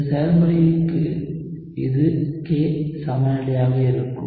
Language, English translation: Tamil, And this would be the K equilibrium for this process